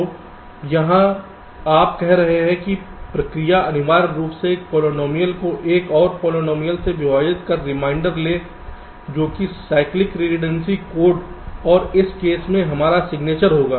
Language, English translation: Hindi, so here you are saying is that the process is essentially one of dividing a polynomial by another polynomial, and take the reminder that that will be the cyclic redundancy code and in in this case, our signature